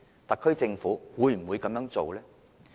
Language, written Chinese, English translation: Cantonese, 特區政府會否這樣做？, Is the SAR Government going to do so?